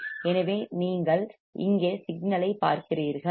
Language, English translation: Tamil, So, you see here is the signal